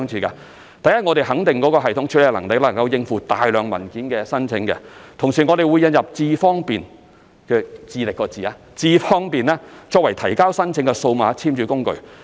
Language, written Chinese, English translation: Cantonese, 首先，我們肯定這個系統能夠應付大量申請文件，同時會引入"智方便"功能，作為提交申請的數碼簽署工具。, First we must assure that the new system can cope with a large number of applications and the iAM Smart function will be introduced as a digital signing tool for submitting applications